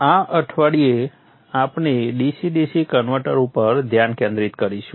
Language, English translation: Gujarati, This week we shall focus on DCDC converters